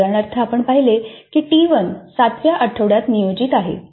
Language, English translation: Marathi, As an example, we saw that T1 is scheduled for week 7